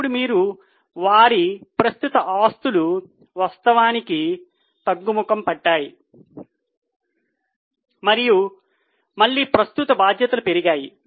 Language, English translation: Telugu, Now you can see that their current assets which actually went down and again have gone up